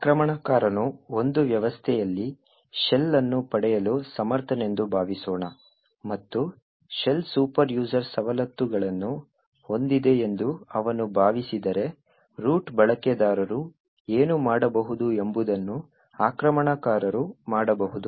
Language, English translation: Kannada, Suppose an attacker actually is able to obtain a shell in a system and if he assume that the shell has superuser privileges then the attacker has super user privileges in that system and can do anything that root user can do